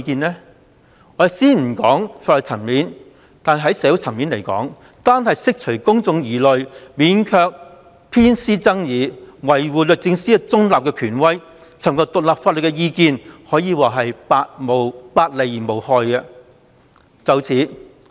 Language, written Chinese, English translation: Cantonese, 在社會層面而言，單單為了釋除公眾疑慮，免卻偏私爭議，維護律政司中立的權威，尋求獨立法律意見可謂百利而無一害。, From the social perspective seeking independent legal advice will only do good without any harm to achieving the mere objective of allaying public concern avoiding controversies over favouritism and safeguarding DoJs reputation as a neutral authority